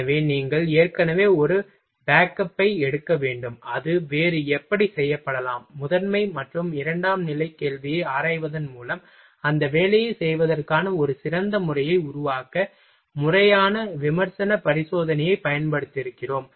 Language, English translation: Tamil, So, you will have to take a one already backup for that ok, how else might it be done, by examining the primary and secondary question we use the systematic critical examination in order to evolve a better method of doing that work